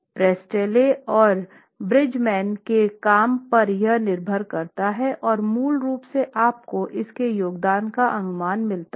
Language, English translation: Hindi, Priestley and Bridgman's work is what it feeds into and basically you get an estimate of what this contribution is